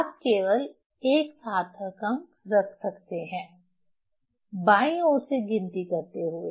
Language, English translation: Hindi, So, you can keep only one significant figure counting from the counting from the left